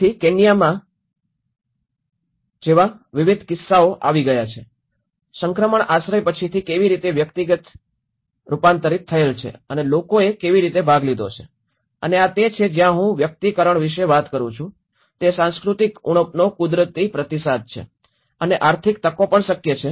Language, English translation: Gujarati, So, there are different cases we have come across like in Kenya, how the transition shelter has been personalized later on and how people have participated and this is where I talk about the personalization is a natural response to cultural deficiency and also to the economic opportunities